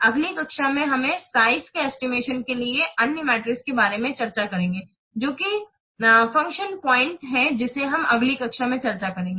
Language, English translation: Hindi, In the next class, we will discuss about another metric for estimating size that is a function point that will discuss in the next class